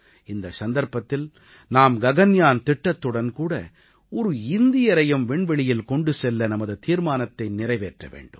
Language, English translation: Tamil, And on that occasion, we have to fulfil the pledge to take an Indian into space through the Gaganyaan mission